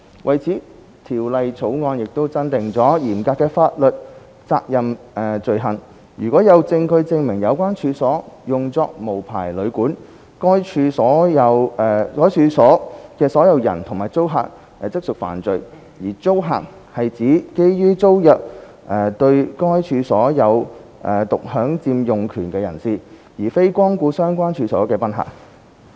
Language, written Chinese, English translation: Cantonese, 為此，《條例草案》增訂了嚴格法律責任罪行，如有證據證明有關處所用作無牌旅館，該處所的擁有人和租客即屬犯罪；而"租客"是指基於租約對該處所有獨享佔用權的人士，而非光顧相關處所的賓客。, For this purpose the Bill has added the strict liability offence . It provides that given sufficient evidence an owner or a tenant of premises that are a hotel or guesthouse without a valid licence commits an offence and tenant refers to a person who is given exclusive possession of the premises concerned under a tenancy and not a guest patronizing the premises